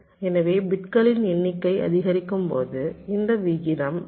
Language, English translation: Tamil, so as the number of bits increases, this ratio approaches point five